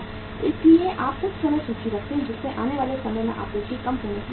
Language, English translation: Hindi, So you keep sometime inventory which is expected to be short in supply in the time to come